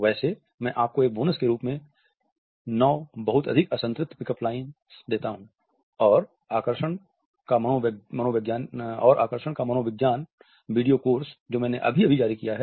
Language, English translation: Hindi, By the way I give you 9 great unsaturated pick up lines as a bonus and the psychology of attraction video course I just released